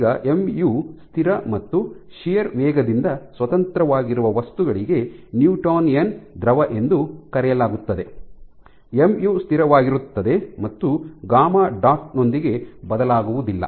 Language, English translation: Kannada, Now for materials where mu is constant independent of shear rate this is called a Newtonian fluid, mu is constant and does not change with gamma dot